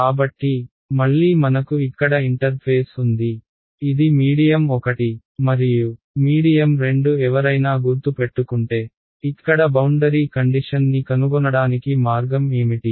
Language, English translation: Telugu, So, again I have an interface over here, this is medium 1 and medium 2 what is the way of a finding a boundary condition over here if anyone remembers